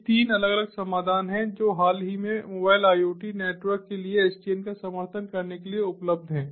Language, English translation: Hindi, these are the three different solutions that are available recently to support sdn for mobile iot networks